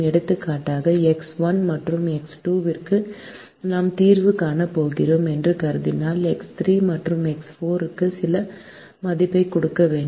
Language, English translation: Tamil, for example, if we assume that we are going to solve for x one and x two, we need to give some value for x three and x four